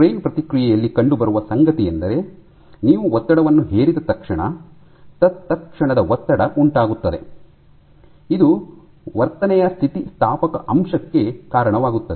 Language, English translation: Kannada, So, what you find in the strain response is as soon as you impose the stress, there is the strain, there is an instantaneous strain, and this accounts for the elastic component of the behavior